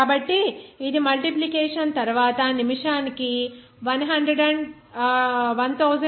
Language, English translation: Telugu, So, it will come after multiplication as 1287